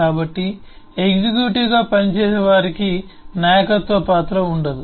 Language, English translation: Telugu, so those who work as executive do not have the role of leadership